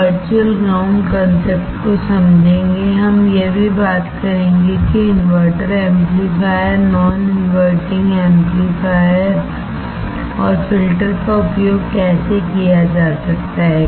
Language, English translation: Hindi, We will understand the virtual ground concept and also talk about how an inverting amplifier, non inverting amplifiers and filters can be used